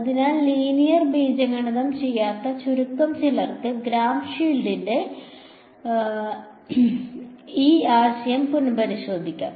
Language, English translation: Malayalam, So, those who have few who have not done linear algebra you can revise this concept of Gram Schmidt